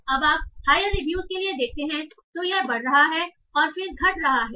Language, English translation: Hindi, So when you are going to higher reviews initially good is increasing and then it is decreasing